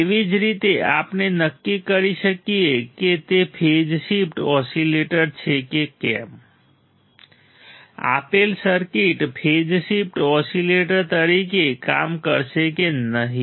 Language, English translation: Gujarati, Same way we can determine if it is a phase shift oscillator, whether the given circuit will work as a phase shift oscillator or not